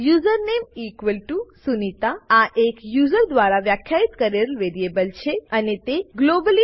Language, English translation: Gujarati, username=sunita is the userdefined variable and it is declared globally